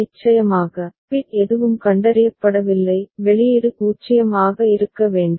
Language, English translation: Tamil, Of course, no bit is detected output should be 0